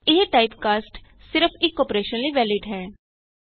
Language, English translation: Punjabi, This typecast is valid for one single operation only